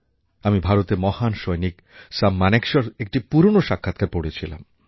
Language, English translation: Bengali, I was reading an old interview with the celebrated Army officer samManekshaw